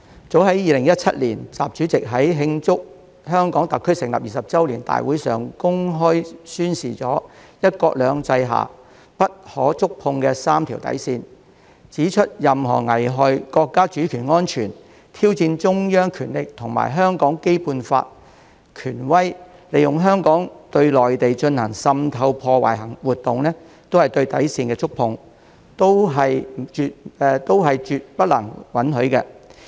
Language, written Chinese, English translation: Cantonese, 早在2017年，習主席在慶祝香港特區成立20周年大會上公開宣示了"一國兩制"下不可觸碰的"三條底線"，指出任何危害國家主權安全、挑戰中央權力和香港《基本法》權威、利用香港對內地進行滲透破壞的活動，都是對底線的觸碰，都是絕不能允許的。, Back in 2017 during the celebrations of the 20th anniversary of the establishment of the Hong Kong Special Administrative Region SAR President XI publicly declared the untouchable three limits of toleration under one country two systems pointing out that any activities that endanger the sovereignty and security of the country challenge the authority of the Central Government and the Basic Law of Hong Kong or make use of Hong Kong as a channel for infiltration and sabotage against the Mainland are all breaches of the limits of toleration and are absolutely impermissible